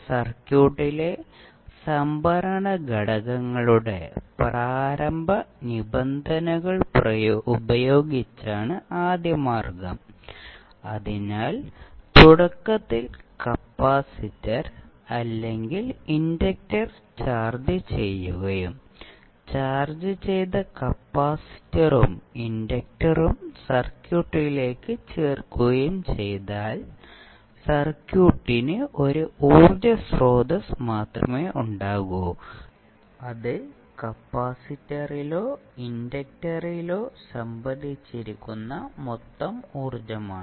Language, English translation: Malayalam, Now we have two ways to excite these first order circuits the first way is there, we will excite this circuit by using initial conditions of the storage elements in the circuit, so that means that initially if you charge either capacitor or inductor and insert that charged capacitor and the inductor into the circuit then, the circuit will have only the source of energy as the total energy stored in either capacitor or inductor